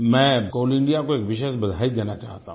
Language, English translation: Hindi, In this context, I would like to specially congratulate Coal India